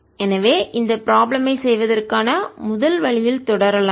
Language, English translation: Tamil, so let us proceed in this first way of doing this problem